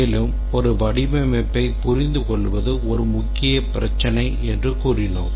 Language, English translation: Tamil, And then we had said that understandability of the design is a major issue